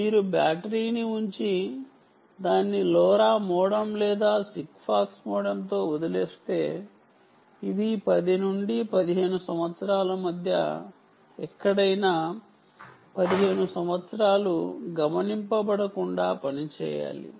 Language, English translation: Telugu, what you mean by this simply means if you put a battery and you leave it with a lora modem or a sigfox modem, it should be, it should work unattended for fifteen years, anywhere between ten to fifteen years